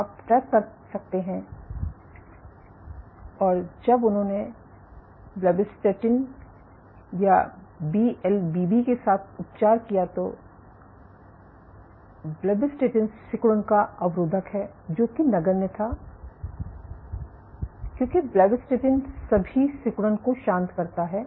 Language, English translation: Hindi, So, you can track and when they treated with blebbistatin right blebbistatin inhibit is contractility, when they treated with blebbistatin this was negligible, because blebbistatin relaxes all contractility